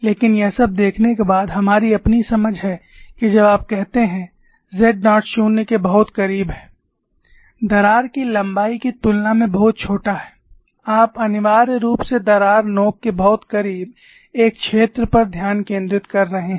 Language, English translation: Hindi, But after looking all that, we have on our own understanding that, when u say z naught is very close to 0, very small compared to the crack length, you are essentially focusing on a z1 very close to the crack tip